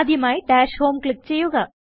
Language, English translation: Malayalam, First, click Dash Home